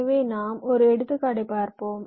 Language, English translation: Tamil, so we shall take an example